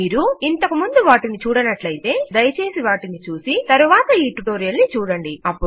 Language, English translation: Telugu, If you have not seen that already, please do so and then go through this tutorial